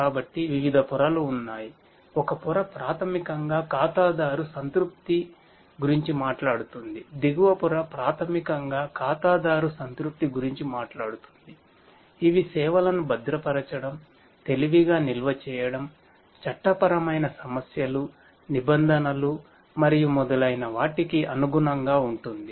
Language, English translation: Telugu, So, there are different layers one layer basically talks about the customer satisfaction, the bottom layer basically talks about the customer satisfaction which caters to requirements of securing the services, offering smarter storage, complying with legal issues, regulations and so on